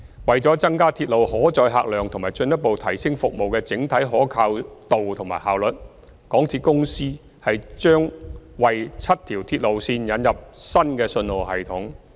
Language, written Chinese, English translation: Cantonese, 為了增加鐵路可載客量及進一步提升服務的整體可靠度和效率，港鐵公司將為7條鐵路線引入新信號系統。, To increase capacity and further enhance the overall reliability and efficiency of railway services MTRCL will introduce new signalling systems for seven MTR lines